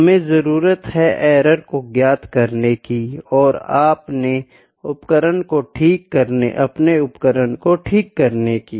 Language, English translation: Hindi, We need to calculate the error and we need to correct an instrument